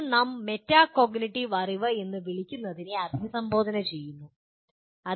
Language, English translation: Malayalam, And this we are going to address what we call metacognitive knowledge